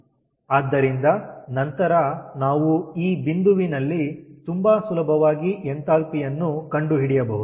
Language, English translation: Kannada, so then very easily, we can find out the enthalpy at this point